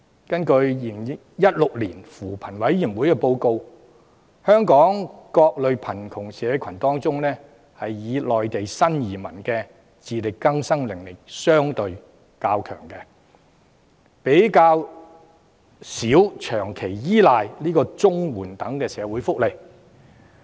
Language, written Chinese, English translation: Cantonese, 根據扶貧委員會的《2016年香港貧窮情況報告》，香港各類貧窮社群當中，以內地新移民的自力更生能力較強，較少要長期依賴綜合社會保障援助等社會福利。, According to the Hong Kong Poverty Situation Report 2016 released by the Commission on Poverty among various poverty groups in Hong Kong new arrivals from Mainland are more able to survive on their own with fewer of them relying on social welfare measures such as the Comprehensive Social Security Assistance on a long - term basis